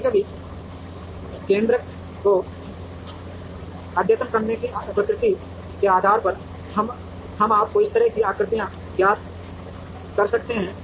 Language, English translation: Hindi, Sometimes by the very nature of updating the centroids, we could get you know shapes like this